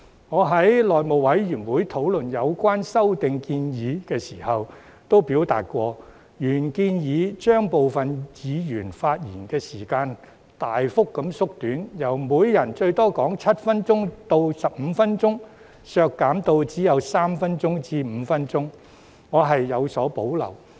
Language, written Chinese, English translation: Cantonese, 我在內務委員會討論有關修訂建議時曾表示，原建議把部分議案的發言時限大幅縮短，由每人最多發言7分鐘至15分鐘，削減至只有3分鐘至5分鐘，我對此有所保留。, When the House Committee discussed the amendment proposal concerned I once said that I had reservations about the original proposal on significantly reducing the speaking time limit on certain motions from a maximum of 7 to 15 minutes per Member to only three to five minutes